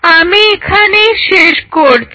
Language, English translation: Bengali, So, I will close in here